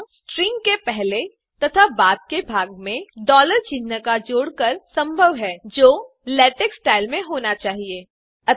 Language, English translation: Hindi, This is possible by adding a $ sign before and after the part of the string that should be in LaTeX style